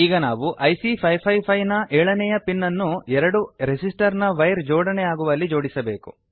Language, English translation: Kannada, Now we will connect the 7th pin of IC 555 to the wire connecting the two resistor